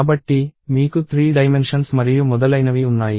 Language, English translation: Telugu, So, you have 3 dimensions and so on